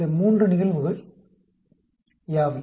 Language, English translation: Tamil, What are those 3 cases